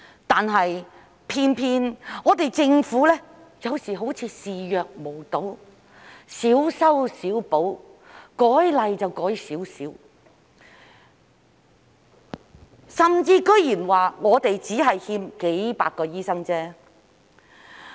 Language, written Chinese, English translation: Cantonese, 但是，偏偏政府有時候好像視若無睹，小修小補，修例只修改一點，甚至竟然說香港只是欠缺數百個醫生而已。, However the Government sometimes seems to turn a blind eye to the problem making minor amendments to the legislation and even going so far as to say that Hong Kong is only short of a few hundred doctors